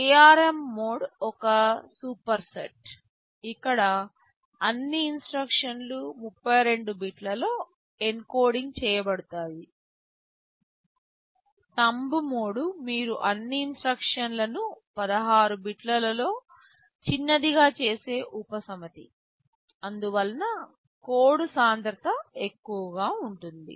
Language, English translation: Telugu, ARM mode is a superset where all instruction are encoding in 32 bits, Thumb mode is a subset of that where you make all the instructions shorter in 16 bits because of which code density will be higher